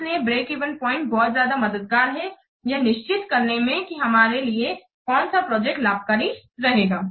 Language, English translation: Hindi, So, a break even point is also very helpful to decide that which project will be beneficial for us